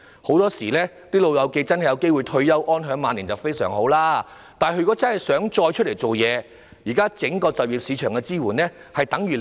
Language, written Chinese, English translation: Cantonese, "老友記"有機會退休，安享晚年，固然非常好，但假如他們真的想再次投身職場，整個就業市場現時對他們的支援等於零。, That the elderly may retire and enjoy their twilight years is certainly good but if they really wish to rejoin the workforce the existing support for them in the entire job market is next to nothing